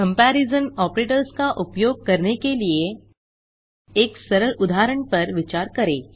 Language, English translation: Hindi, Let us consider a simple example for using comparison operator